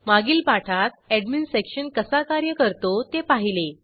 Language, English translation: Marathi, In the earlier tutorial, we had seen how the Admin Section works